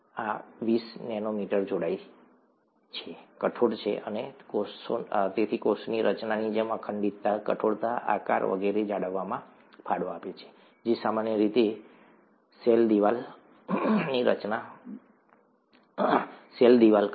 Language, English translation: Gujarati, This twenty nanometers thick, is rigid and therefore contributes to maintain the cell structure such as integrity, rigidity, shape and so on and so forth, that is typically what a cell wall does